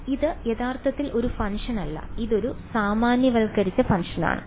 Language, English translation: Malayalam, So, the problem is that here this is not actually a function this is a generalized function